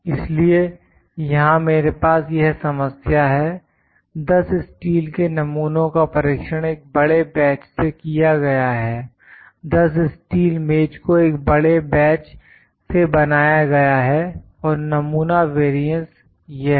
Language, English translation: Hindi, So, I have at this problem here the 10 steel specimens are tested from a large batch, 10 steel table is made from large batch and a sample variance is this